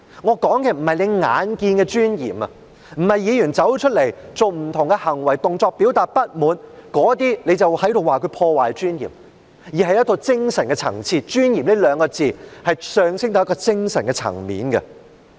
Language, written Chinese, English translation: Cantonese, 我說的不是眼見的尊嚴，不是像主席說的一般，議員走出來做不同行為動作表達不滿便被視為破壞議會尊嚴，而是一個精神的層次，"尊嚴"這兩個字是上升到一個精神的層面。, I am not talking about dignity in a tangible sense and President unlike your comments that Members coming forth to make various acts or gestures to express their dissatisfaction are considered to have undermined the dignity of this Council I am talking about a spiritual level and this dignity as referred to by me is elevated to a spiritual level